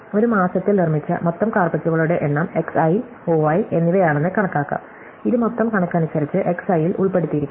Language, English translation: Malayalam, So, let us assume that the total number of carpets made in a month is X i and O i which is included in X i in terms of the total